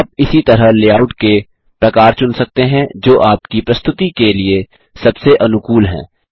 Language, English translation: Hindi, You can similarly choose the layout type that is most suited to your presentation